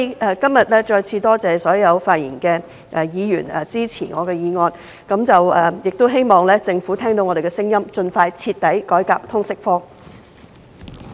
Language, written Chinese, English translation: Cantonese, 我再次多謝今天所有發言的議員支持我的議案，亦希望政府聽到我們的聲音，盡快徹底改革通識科。, Once again I would like to thank all the Members who have spoken in support of my motion . I also hope that the Government will heed our voices and thoroughly reform the LS subject as soon as possible